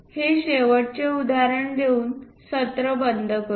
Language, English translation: Marathi, Let us close this a session with last example